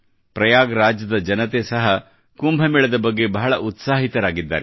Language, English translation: Kannada, People of Prayagraj are also very enthusiastic about the Kumbh